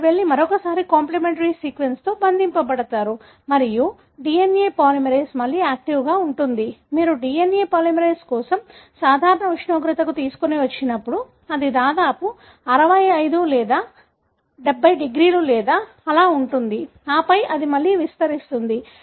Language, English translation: Telugu, So, they are going to go and bind once again to the complementary sequence and the DNA polymerase is active again, when you bring it back to a normal temperature for the DNA polymerase, that is around 65 or 70 degrees or so on and then, it will extend again